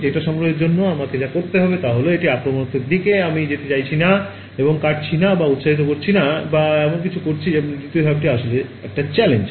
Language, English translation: Bengali, Data collection is all I need to do because its non invasive I am not going and cutting or prodding or anything like that and step 2 is where the real challenge is, right